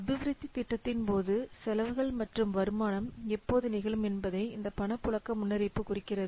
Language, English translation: Tamil, This cash flow forecast indicates when expenditures and income will take place during the development of a project